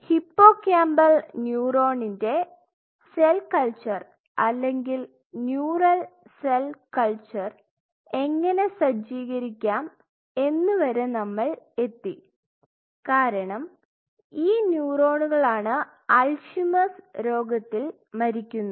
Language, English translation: Malayalam, So, we reached up to the point how to set up a cell culture or neural cell culture of hippocampal neuron, since these are the neurons which dies during Alzheimer’s disease